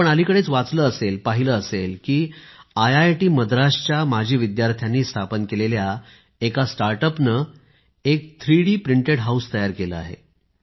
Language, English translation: Marathi, Recently you must have read, seen that a startup established by an alumni of IIT Madras has made a 3D printed house